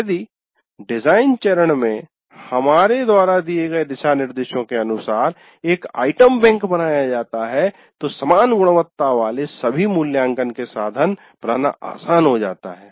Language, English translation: Hindi, If an item bank is created as per the guidelines that we have given in design phase, it becomes easier to create all assessment instruments of uniform quality